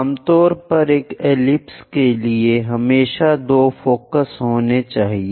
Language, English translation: Hindi, Usually, for ellipse, there always be 2 foci